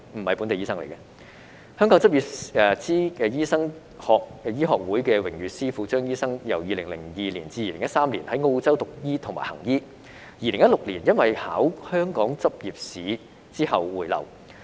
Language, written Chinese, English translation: Cantonese, 香港執照醫生醫學會榮譽司庫張醫生，由2002年至2013年在澳洲讀醫和行醫，在2016年因為考香港執業資格試回流。, Dr CHEUNG Honorary Treasurer of the Medical Licentiate Society of Hong Kong studied and practised medicine in Australia from 2002 to 2013 and returned to Hong Kong in 2016 through taking the Licensing Examination